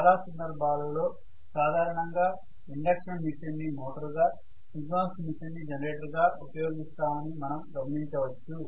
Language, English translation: Telugu, In most of the cases you would see that induction machine is normally run as a motor and synchronous machine is normally run as a generator